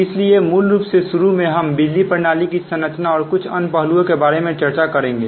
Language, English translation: Hindi, initially we will discuss about structure of power systems and few other aspects, right